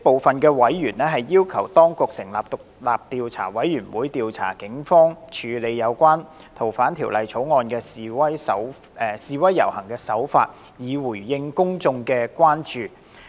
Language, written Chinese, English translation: Cantonese, 這些委員要求當局成立獨立調查委員會，調查警方處理有關修訂《逃犯條例》的示威遊行的手法，以回應公眾的關注。, These members called on the Administration to set up an independent commission of inquiry to investigate the Polices handling of protests and rallies related to the Fugitive Offenders Bill thereby addressing the public concern in this respect